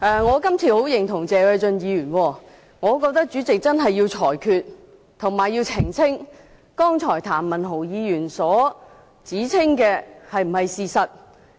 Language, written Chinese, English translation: Cantonese, 我十分認同謝偉俊議員，我認為代理主席須作裁決，並澄清譚文豪議員剛才所說的是否事實。, I very much agree with Mr Paul TSE that the Deputy President must make a ruling and clarify whether what Mr Jeremy TAM said was true